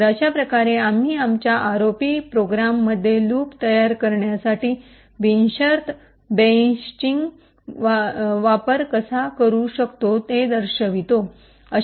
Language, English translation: Marathi, So, in this way we show how we can use unconditional branching to create loops in our ROP programs